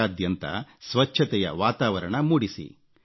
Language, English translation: Kannada, Let's create an environment of cleanliness in the entire country